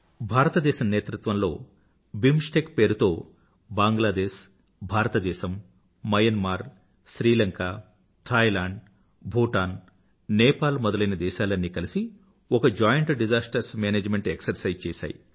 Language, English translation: Telugu, India has made a pioneering effort BIMSTEC, Bangladesh, India, Myanmar, Sri Lanka, Thailand, Bhutan & Nepal a joint disaster management exercise involving these countries was undertaken